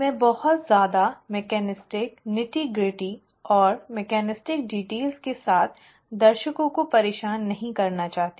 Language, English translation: Hindi, I do not want to bother the audience with too much of the mechanistic nitty gritty and mechanistic details